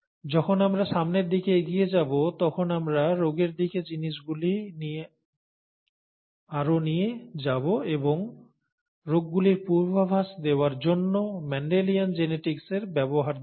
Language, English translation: Bengali, When we move forward, we will take things further towards diseases and see the use of ‘Mendelian genetics’ to be to predict diseases